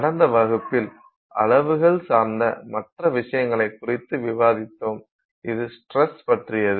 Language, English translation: Tamil, We also discussed in the last class the other issue with respect to sizes and which is about the stress